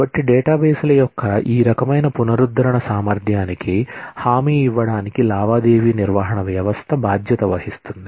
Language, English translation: Telugu, So, transaction management system is responsible to guarantee this kind of recover ability of databases